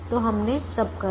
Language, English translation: Hindi, so we did all that